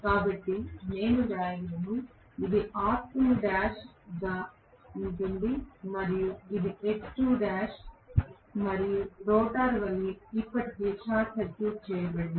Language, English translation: Telugu, So, I can write it to be r2 dash and this as x2 dash and rotor is already short circuited